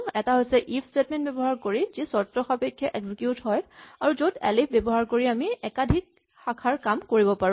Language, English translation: Assamese, One is using the 'if statement', which conditionally executes and this extends to the elif which allows us to do a multi way branch